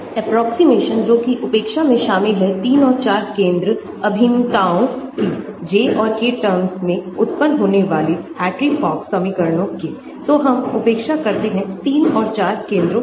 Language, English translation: Hindi, Approximations which involve the neglect of 3 and 4 center integrals arising in the J and K terms of Hartree Fock equations, so we neglect 3 and 4 center integrals